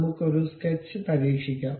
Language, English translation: Malayalam, Let us try that a sketch